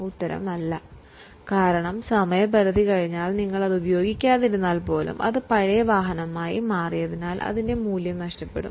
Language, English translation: Malayalam, Because just by lapse of time even if we don't use it because it has become older vehicle it loses its value